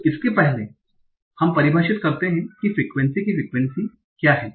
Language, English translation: Hindi, So for that let us first define what is the frequency of frequency